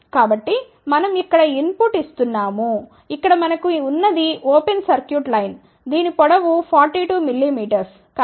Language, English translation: Telugu, So, we are giving input here this is the output all we have here is a open circuited line, which is of length 42 mm